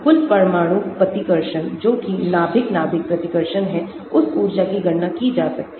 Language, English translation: Hindi, Total nuclear repulsion that is nucleus nucleus repulsion that energy can be calculated